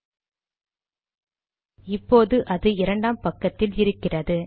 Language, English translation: Tamil, Alright it is on the second page